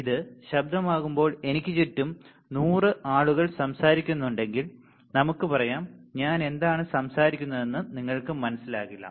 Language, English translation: Malayalam, And when this is a noise right at let us say if there are 100 people around me all talking then you may not understand what I am talking